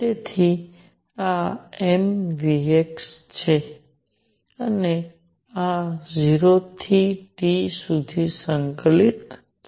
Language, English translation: Gujarati, So, this is m v x and this is integrated from 0 to T